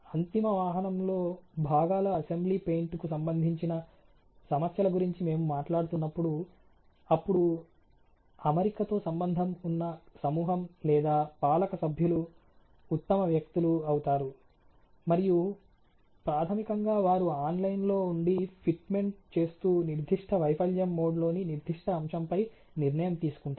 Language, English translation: Telugu, And we are talking about problems related to let’s say the paint of the assembly of the particular components in to the final vehicle, then the group of the governing members who are associated with the fitment would be the best people, and that is basically also the people who are the online and who are doing the fitment ok who would take a decision on that particular component of that particular failure mode ok